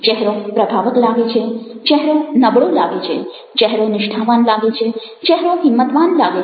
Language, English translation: Gujarati, the face looks imposing, the face looks weak, the face looks sincere, the face looks encouraging, friendly